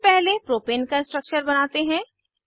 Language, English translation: Hindi, Lets first draw the structure of propane